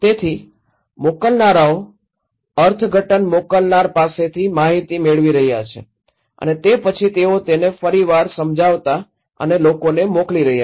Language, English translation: Gujarati, So, senders, they are getting information from senders interpreting and then they are reinterpreting and sending it to the people